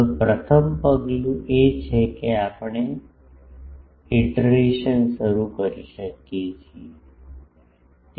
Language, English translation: Gujarati, Now, the first step is we can we have to start the iterations